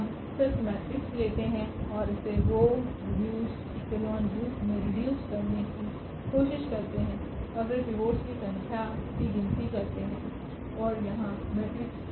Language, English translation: Hindi, We just take the matrix and try to reduce it to the row reduced form and then count the number of pivots and that is precisely the rank of the matrix